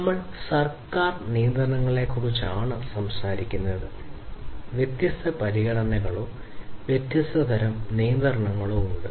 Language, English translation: Malayalam, So, you know we have if we are talking about government regulations there are different considerations or the different types of regulations